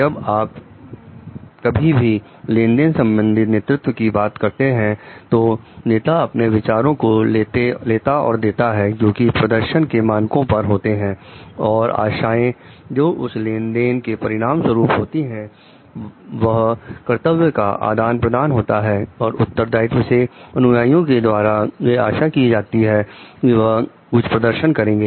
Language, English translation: Hindi, Like when you whenever you are talking of transactional leadership the leader is taking giving his views on the performance standards and expectations and as a result of that transaction of like exchange of duties and responsibilities is expecting certain performance from the follower